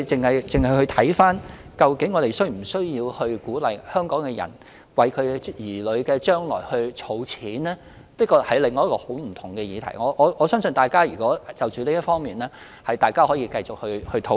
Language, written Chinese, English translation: Cantonese, 因此，考慮究竟我們應否鼓勵香港市民為子女的將來儲蓄，確實是另一個截然不同的議題，我相信大家可以就此方面再作討論。, Therefore considering whether we should encourage Hong Kong people to make savings for their childrens future is indeed an entirely different issue . I believe we can have further discussion in this respect